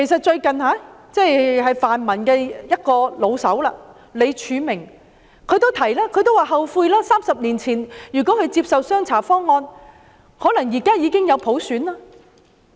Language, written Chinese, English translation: Cantonese, 最近泛民一位"老手"李柱銘也說，他後悔30年前沒有接受"雙查方案"，否則現在已經有普選。, A veteran member from the pan - democratic camp Martin LEE said he regretted not accepting the CHA - CHA proposal 30 years ago or else universal suffrage would have been implemented now